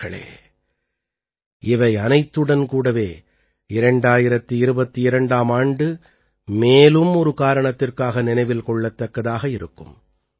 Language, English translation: Tamil, Friends, along with all this, the year 2022 will always be remembered for one more reason